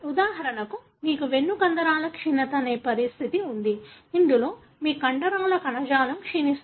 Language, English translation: Telugu, For example you have a condition called spinal muscular atrophy, wherein your muscle tissues degenerate